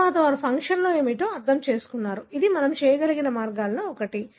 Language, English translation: Telugu, So, again later they have understood what is the function; so this is the, one of the ways by which we can do